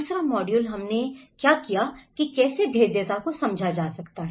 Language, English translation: Hindi, The second module, what we did was the, how one can understand the vulnerability